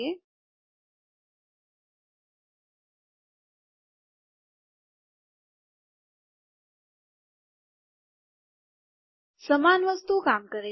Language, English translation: Gujarati, Okay, Same thing works